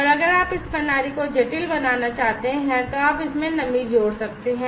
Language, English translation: Hindi, And if you want to make this system complicated, then you can add humidity into it